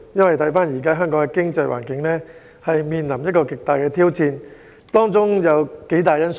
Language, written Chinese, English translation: Cantonese, 香港經濟環境正面臨巨大挑戰，當中有幾項因素。, The economy of Hong Kong is facing an enormous challenge in which several factors are at play